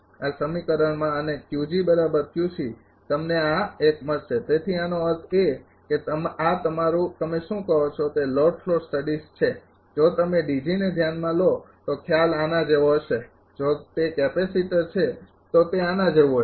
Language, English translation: Gujarati, So; that means, this is the your what you call that load flow studies if you consider a D G the concept will be like this, if it is a capacitor it will be like this